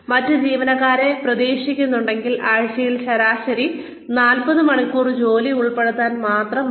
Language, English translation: Malayalam, If the other employees are expected, only to put in, say, on an average, about 40 hours a week